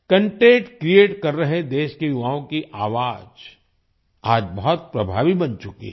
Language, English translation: Hindi, The voice of the youth of the country who are creating content has become very effective today